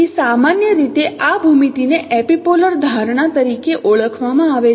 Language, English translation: Gujarati, So this geometry in general is referred as epipolar geometry